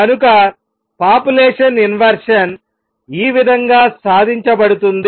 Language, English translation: Telugu, So, this is how population inversion is achieved